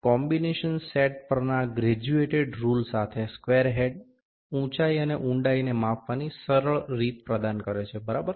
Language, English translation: Gujarati, The square head along with the graduated rule on the combination set provides an easy way of measuring heights and depths, ok